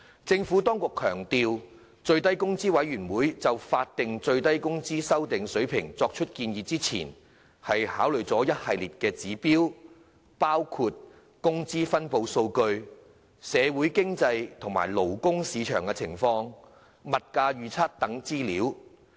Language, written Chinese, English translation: Cantonese, 政府當局強調，最低工資委員會就法定最低工資水平的修訂作出建議前，考慮了一系列指標，包括工資分布數據、社會經濟及勞工市場情況、物價預測等資料。, The Administration stresses that in making its recommendation on the revised SMW rate the Minimum Wage Commission MWC has considered an array of indicators including wage distribution data socio - economic and labour market conditions as well as price forecasts